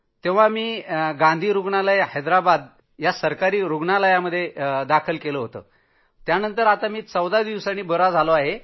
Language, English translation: Marathi, I was admitted to Gandhi Hospital, Government Hospital, Hyderabad, where I recovered after 14 days and was discharged